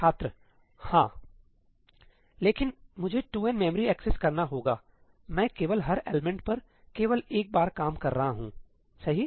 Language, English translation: Hindi, Hum But I have to do 2n memory accesses, I am only working on each element only once, right